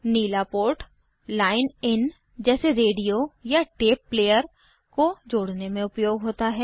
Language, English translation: Hindi, The port in blue is for connecting a line in, for eg from a radio or tape player